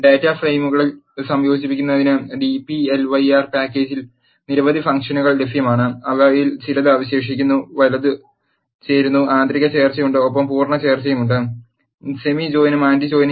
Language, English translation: Malayalam, There are several functions that are available in the dplyr package to combine data frames, few of them are left join, right join and inner join and there are full join, semi join and anti join